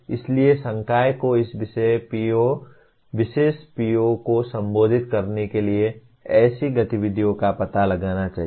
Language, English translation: Hindi, So the faculty should explore such activities to address this particular PO